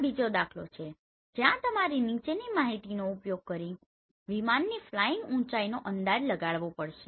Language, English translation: Gujarati, This is another problem where you have to estimate the flying height of the aircraft using following information